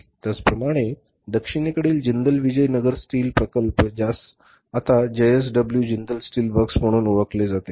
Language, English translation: Marathi, Similarly in the southern region, Jendal Bijanag steel plant which is now known as JASW J